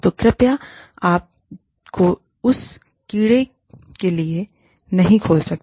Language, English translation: Hindi, So, please do not open yourself, up to that can of worms